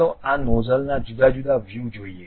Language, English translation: Gujarati, Let us look at different views of this nozzle